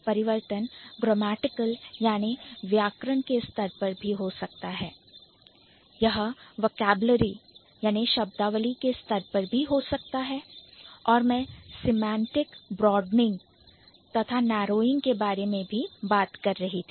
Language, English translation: Hindi, The change might happen at the grammatical category level, it might happen at the vocabulary level and I was also talking about semantic broad, sorry, broadening and also narrowing, then there is semantic drift and then there is reversal